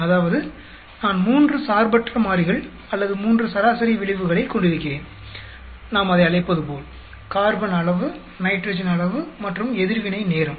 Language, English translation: Tamil, That means, I have three independent variables or three mean effects, as we call it; the carbon amount, the nitrogen amount and the reaction time